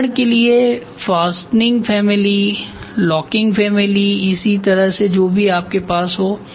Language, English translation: Hindi, For example, fastening family, locking family something like that you can have